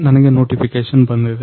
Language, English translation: Kannada, So, he will get the notification